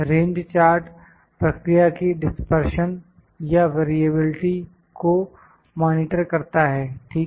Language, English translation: Hindi, Range charts monitor the dispersion or variability of the process, ok